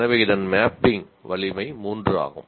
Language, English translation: Tamil, So it is mapping strength is three